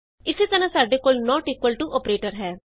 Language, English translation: Punjabi, Similarly, we have the not equal to operator